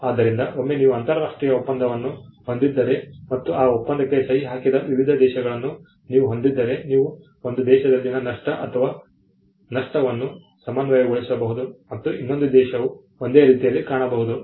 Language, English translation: Kannada, So, once you have an international agreement, and you have various countries who have signed to that agreement, you can harmonize the loss, loss in one country and the other country can look similar or the same